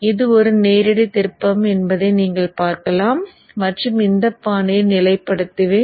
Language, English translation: Tamil, So you see that this is just a direct flip and position in this fashion